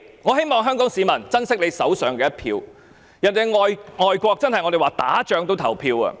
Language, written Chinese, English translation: Cantonese, 我希望香港市民珍惜手上的一票，我們常說外國就是在打仗，人民也要投票。, I hope Hong Kong people can treasure their votes . As we often say even in the case of an overseas country which is at war its people are still eager to cast their votes